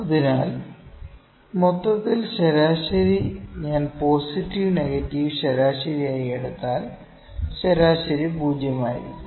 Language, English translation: Malayalam, So, overall that average would be if I take positive negative the average mean would be 0